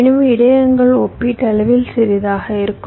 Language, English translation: Tamil, ok, so the buffers will be relatively smaller in size